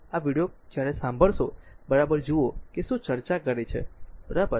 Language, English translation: Gujarati, When we will listen this video, right just see that what; what we are discussing, right